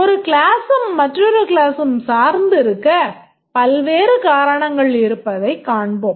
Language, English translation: Tamil, We will see that there are various reasons why a class may be dependent on another class